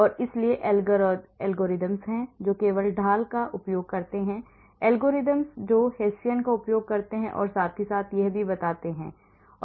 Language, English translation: Hindi, And, so there are algorithms which which make use of only the gradient there are algorithms which make use of Hessian as well as this